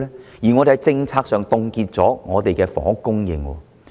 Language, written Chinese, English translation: Cantonese, 況且，我們在政策上，已凍結了房屋的供應。, Besides we have frozen housing supply at the policy level